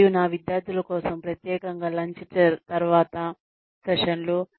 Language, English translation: Telugu, And, for my students, specially the post lunch sessions